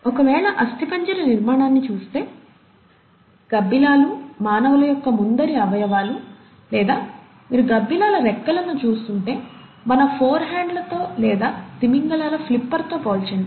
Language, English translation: Telugu, If one were to look at the skeletal architecture of, let’s say, bats, human forelimbs; so if you were to look at the wings of bats, compare that with our forehands or with the flipper of the whales